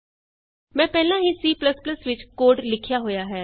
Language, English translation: Punjabi, I have already made the code in C++